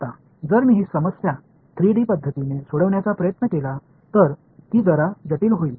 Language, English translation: Marathi, Now, if I try to solve this problem in the most general 3d way it is going to be a little bit complicated